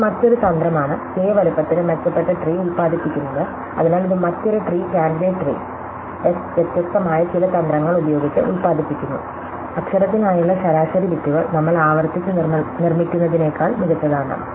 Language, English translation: Malayalam, Suppose, this is another strategy would produce the better tree for size k, so this another tree candidate tree S produce by some different strategy, whose is average bits for letter is strictly better than the one that we construct recursive